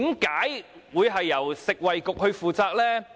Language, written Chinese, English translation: Cantonese, 為何由食衞局負責呢？, Why was the Food and Health Bureau responsible?